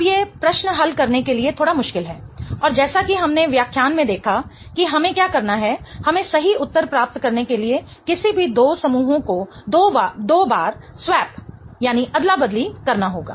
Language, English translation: Hindi, Now, these questions are a little tricky to solve and as we saw in lecture what we have to do is we have to swap any two groups twice in order to get to the right answer